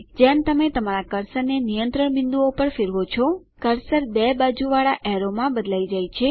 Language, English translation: Gujarati, As you hover your cursor over the control point, the cursor changes to a double sided arrow